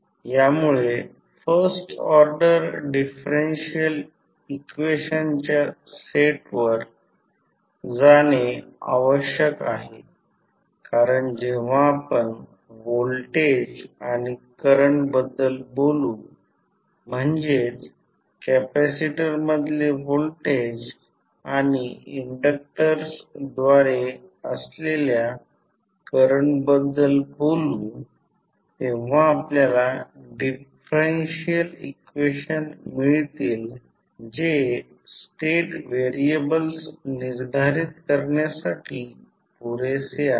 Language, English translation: Marathi, This should lead to a set of first order differential equation because when you talk about the voltage and current voltage across capacitor and current at through inductor you will get the differential equations which is necessary and sufficient to determine the state variables